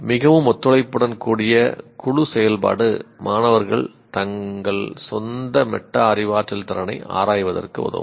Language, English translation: Tamil, The very group activity, cooperative group activity will facilitate the student to keep examining his own metacognitive ability